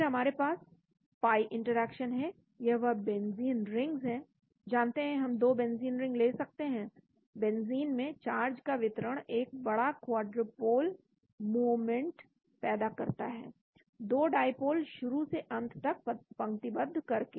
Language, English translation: Hindi, Then we have pi interactions, this is that benzene rings you know we can have 2 benzene rings charge distribution in benzene produces a large quadrupole moment, in the form of 2 dipoles aligned end to end